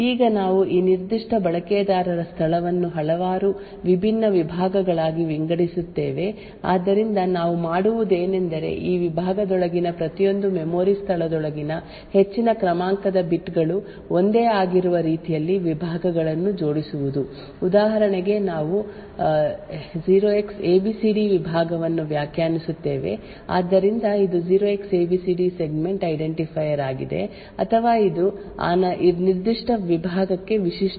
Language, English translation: Kannada, Now we would divide this particular user space into several different segments so what we do is align the segments in such a way that the higher order bits within each memory location within this segment are the same for example we define a segment 0xabcd so this 0Xabcd is the segment identifier or this is the unique identifier for that particular segment